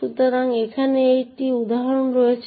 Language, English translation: Bengali, So, this is an example over here